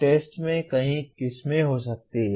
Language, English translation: Hindi, Tests can be many varieties